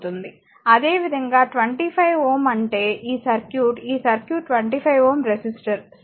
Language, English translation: Telugu, Similarly, your 25 ohm that is this circuit, this circuit 25 ohm resistor, right